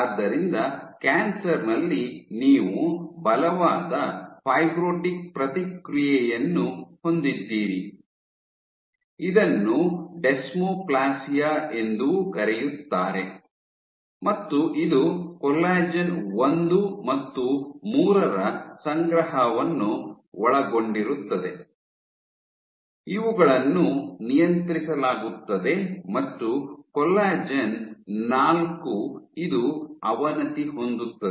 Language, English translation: Kannada, So, in cancers you have a strong fibrotic response which is also known as desmoplasia and this involves accumulation of col 1 and 3, these are upregulated and you have degradation of col 4 this is degraded